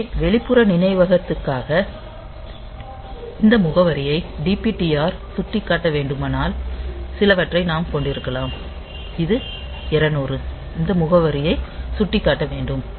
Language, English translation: Tamil, So, we can have some the if DPTR has to point to say this address for external memory sorry not this one say 200 it has to point to this address